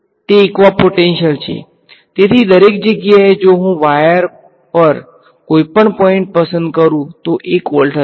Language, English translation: Gujarati, It is a equipotential; so, everywhere if I pick any point on the wire voltage will be 1 voltage right